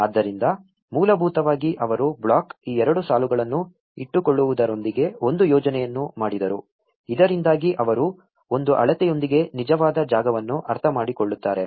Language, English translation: Kannada, So basically, they made a mark out plan with keeping this two lines of the block so that they get a real space understanding with one is to one scale